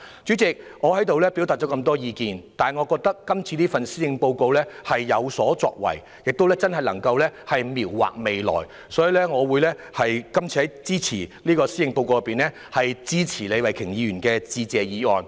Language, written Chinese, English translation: Cantonese, 主席，我表達了很多意見，但我認為今年的施政報告是有所作為的，真正能夠描畫未來，所以我會支持李慧琼議員就施政報告提出的致謝議案。, President although I have expressed a lot of views I do find this years Policy Address promising as it has genuinely provided a blueprint for the future . Therefore I will support the Motion of Thanks moved by Ms Starry LEE on the Policy Address